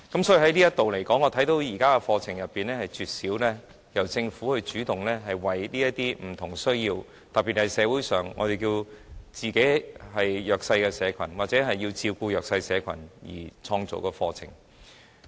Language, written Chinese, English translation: Cantonese, 所以，就這方面來說，我看見現時的課程中絕少由政府主動為這些有不同需要的人士，特別是社會上的弱勢社群或為照顧弱勢社群而開辦的課程。, Therefore regarding this area I find that the existing courses are rarely run by the Government on its own initiative to cater for the needs particularly for the underprivileged in the community or to take care of them